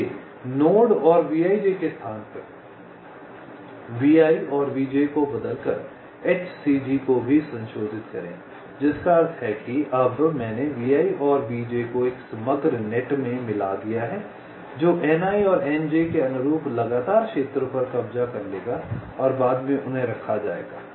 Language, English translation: Hindi, ok, so also modify h c g by replacing vi and vj by a node net, vij, which means that now i have merged vi and vj in to a composite net which will occupy can consecutive zones corresponding to ni and nj and later on they will be placed on the same track